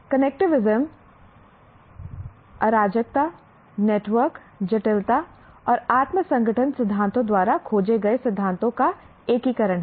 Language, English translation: Hindi, Connectivism is the integration of principles explored by chaos, network, complexity and self organization theories